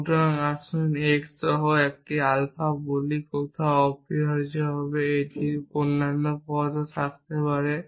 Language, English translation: Bengali, So, let us say an alpha with some x somewhere essentially, it could have other terms also